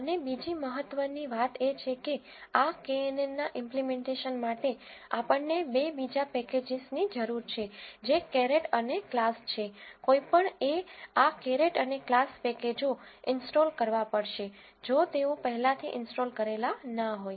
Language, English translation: Gujarati, And another important thing one has to do is, for this knn implementation, we need two external packages which are caret and class, one has to install this caret and class packages if they have not installed it already